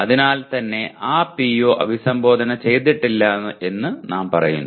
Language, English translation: Malayalam, So we consider that PO is not considered addressed